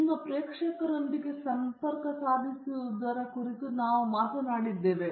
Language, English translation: Kannada, We spoke about connecting with your audience